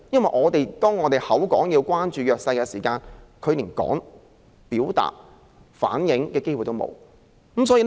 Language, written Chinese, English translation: Cantonese, 我們豈可嘴裏說要關心弱勢人士，但他們卻連表達和反映意見的機會也沒有？, How can it be the case in which we speak about caring for the disadvantaged on the one hand while not giving them the chance to express and relay their own views on the other?